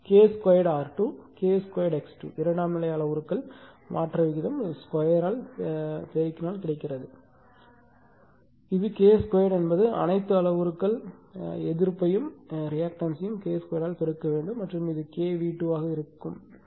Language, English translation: Tamil, And secondary side you have transform by multiplying your what you call just square of the trans ratio or transformation ratio that is K square R 2, K square X 2 and this is K square all that means, all the parameters resistance and reactance you have to multiply by K square and this should be K V 2